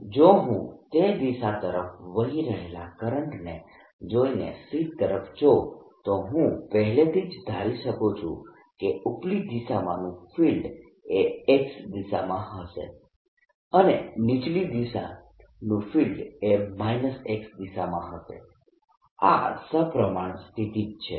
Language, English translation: Gujarati, if i look at the sheet, by looking at the current which is flowing in this direction, i can already anticipate that field in the upper direction is going to be in the x direction and the lower direction is going to be minus direction